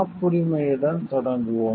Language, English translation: Tamil, We will start with patent